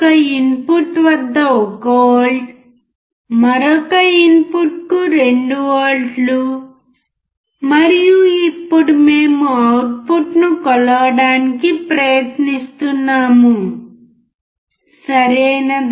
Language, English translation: Telugu, 1 volt at one input 2 volts add another input, and now we are trying to measure the output, alright